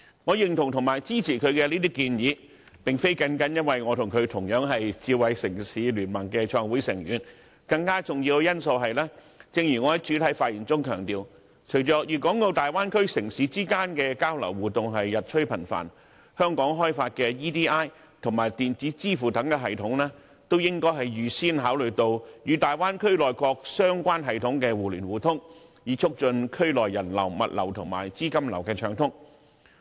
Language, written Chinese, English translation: Cantonese, 我認同和支持她的建議，並非單單由於我和她同樣是智慧城市聯盟的創會成員，更重要的因素是，正如我在開場發言時強調，隨着大灣區城市之間的交流、互動日趨頻繁，香港開發的 eID 及電子支付等系統，也應預先考慮與大灣區內各相關系統的互聯互通，以促進區內人流、物流和資金流的暢通。, I agree and support her suggestions not only because we are both founding members of the Smart City Consortium . More importantly as I have stressed in my introductory remarks as municipalities in the Bay Area progressively intensify their exchange and interactions Hong Kong should consider in advance the issue of mutual connectivity and compatibility with the corresponding systems in the Bay Area in the development of such systems as electronic identity eID and electronic payment so as to facilitate the unhindered flows of people goods and capital